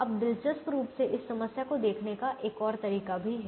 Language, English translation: Hindi, now interestingly there is a third way to also look at this problem